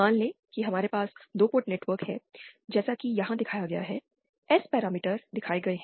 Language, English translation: Hindi, Suppose we have a 2 port network as shown here, S parameters are shown